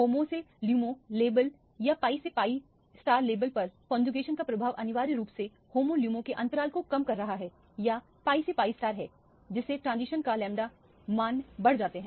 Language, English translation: Hindi, The effect of conjugation on the homo to lumo level or the pi to pi star level is essentially decreasing the gap of the homo lumo or the pi to pi star level, there by increasing the lamda values of the transition corresponding to that